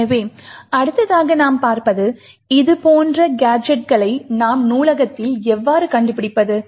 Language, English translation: Tamil, So, the next thing we will actually look at is, how do we find such gadgets in our library